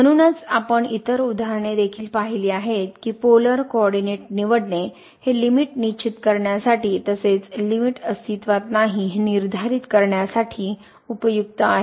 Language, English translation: Marathi, So, we have seen other examples also that this choosing to polar coordinate is very useful for determining the limit as well as for determining that the limit does not exist